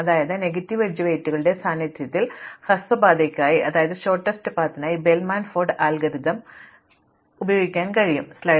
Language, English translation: Malayalam, So, these two properties are enough for us to arrive at the Bellman Ford algorithm for shortest path in the presence of negative edge weights